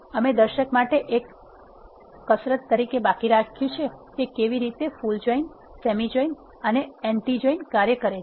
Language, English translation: Gujarati, We left as an exercise for the viewer, to understand how full join semi join and anti works